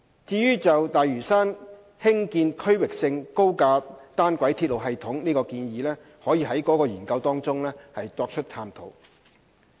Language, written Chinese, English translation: Cantonese, 就於大嶼山興建區域性高架單軌鐵路系統的建議，可在該研究中作探討。, The proposal of a regional elevated monorail system for Lantau may be explored in the study